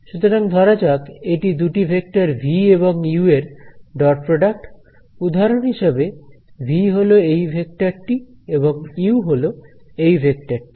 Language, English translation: Bengali, So, I can say that this is let say the dot product between two vectors v dot u and that for example, v could be this vector and u could be this vector right